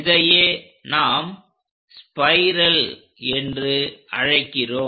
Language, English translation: Tamil, This is what we call spiral